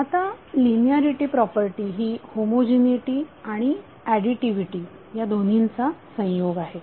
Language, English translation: Marathi, Now linearity property is a combination of both homogeneity and additivity